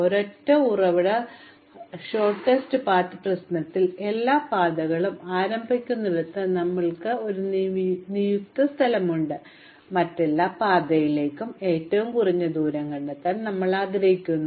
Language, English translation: Malayalam, In the single source sort of path problem, we have a designated place from where we start all our paths and we want to find the shortest distance to every other path